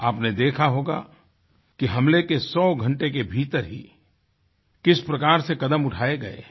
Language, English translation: Hindi, You must have seen how within a hundred hours of the attack, retributive action was accomplished